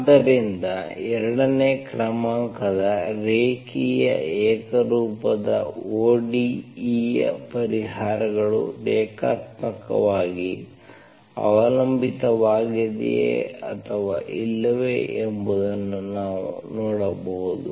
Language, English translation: Kannada, So this is how we can see that whether given to solutions of second order linear homogeneous ODE are linearly dependent or not, okay